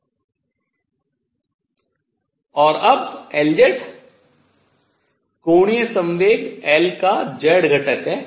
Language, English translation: Hindi, And now L z is z component of L angular momentum